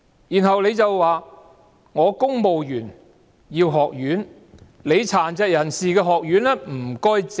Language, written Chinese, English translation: Cantonese, 然後，他說公務員需要一間學院，請殘疾人士的學院讓路。, Then he went on saying that civil servants needed a college so would the school providing education for disabled persons please give way